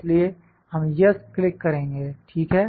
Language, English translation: Hindi, So, we click yes, ok